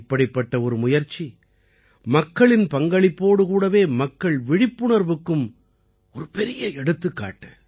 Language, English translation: Tamil, Such efforts are great examples of public participation as well as public awareness